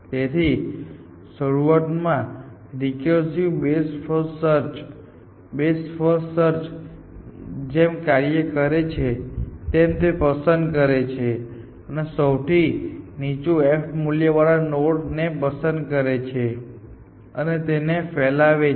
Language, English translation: Gujarati, So, initially recursive best first search behaves like best first search, that it fix the one with the lowest f value and expands that, which means in this example this know